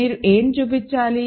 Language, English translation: Telugu, What do you have to show